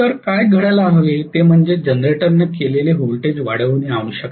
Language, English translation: Marathi, So what has to happen is the generated voltage has to be increased